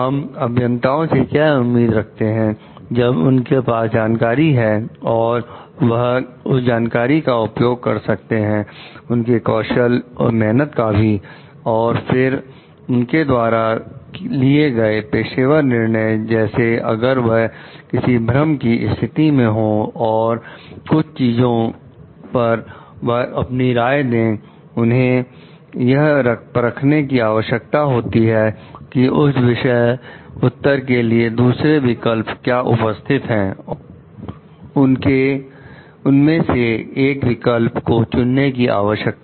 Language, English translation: Hindi, What we expect from the engineers is when they have the knowledge, they should be using that knowledge and skills and exercise; then, in taking professional judgments like if they are in the situation of dilemma and if they are going to give their opinion about certain things, they need to like examine the different alternatives present for a particular answer and then need to choose one alternative